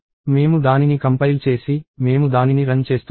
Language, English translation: Telugu, So, I compile it and then I run it